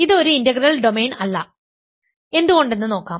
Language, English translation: Malayalam, So, I claim that this is not an integral domain, why is this